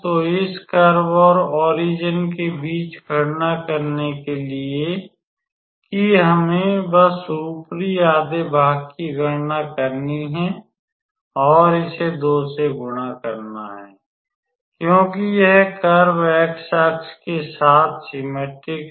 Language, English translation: Hindi, So, between this curve and the origin and to calculate that we just have to calculate the upper half and multiply it by 2 because this curve is symmetric along the x axis